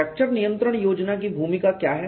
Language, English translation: Hindi, What is the role of the fracture control plan